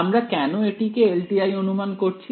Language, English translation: Bengali, Why are we assuming its a LTI we are